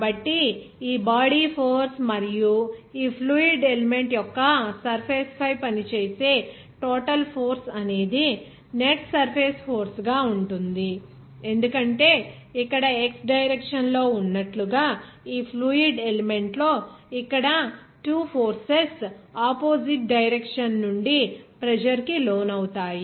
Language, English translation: Telugu, So, this body force and what will be the total force acting over the surface of this fluid element that will be as net surface force because here 2 forces will be subjected to the pressure from the opposite direction here in this fluid element like in the x direction